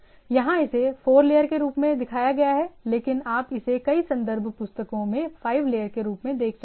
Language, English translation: Hindi, Here it has been shown as a 4 layer, but it you can look it as a 5 layer in several references books and etcetera